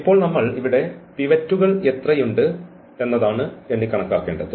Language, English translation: Malayalam, And what is now we need to count the pivots here